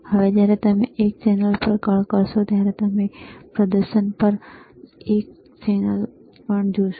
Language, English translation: Gujarati, Now when you switch channel one, you will also see on the display, channel one